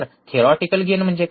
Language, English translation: Marathi, What is theoretical gain